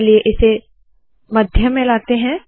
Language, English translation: Hindi, Let me just center it